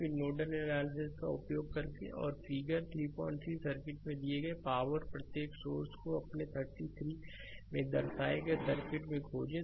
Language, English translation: Hindi, 3 using nodal analysis, find the power delivered by each source in the circuits shown in figure your 33